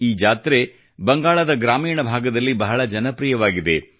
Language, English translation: Kannada, This fair is very popular in rural Bengal